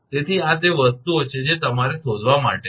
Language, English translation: Gujarati, So, these are the things given that you have to find out